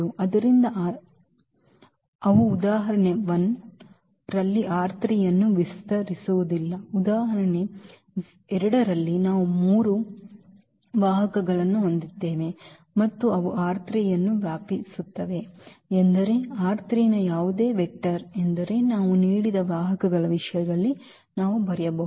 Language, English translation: Kannada, So, but they do not span R 3 in example 1 in example 2 we have three vectors and they span R 3 means any vector of R 3 we can write down in terms of those given vectors